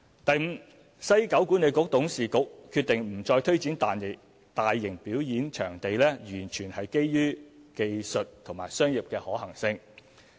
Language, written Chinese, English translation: Cantonese, 第五，西九管理局董事局決定不再推展大型表演場地，完全是基於技術和商業的可行性。, Fifth WKCDAs decision not to proceed with the proposal to build a mega performance venue was entirely based on technical and commercial viability